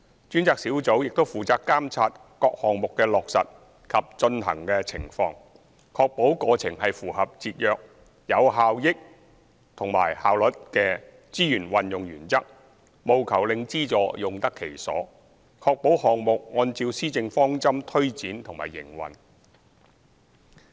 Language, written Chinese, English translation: Cantonese, 專責小組亦負責監察各項目的落實及進行情況，確保過程是符合節約、有效率及效益的資源運用原則，務求令資助用得其所，確保項目按照施政方針推展和營運。, They are also responsible for monitoring the implementation and progress of various projects to ensure the use of resources is complying with the principles of economy efficiency and effectiveness achieving value for money ensuring progress and operation are being on the right track